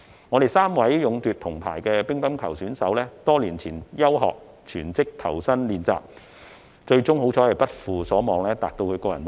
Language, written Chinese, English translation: Cantonese, 我們3位勇奪銅牌的乒乓球選手在多年前休學全職投身練習，幸好最終不負所望，達至其個人目標。, Our three bronze - medal table tennis players have suspended their schooling for full - time practices many years ago . Fortunately they have not let us down and achieved their personal goal